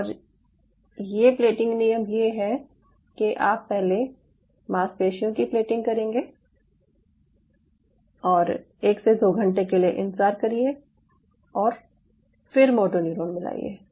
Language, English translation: Hindi, so the plating rule was, or e is you plate the muscle first and wait for one to two hours and then add the motor neuron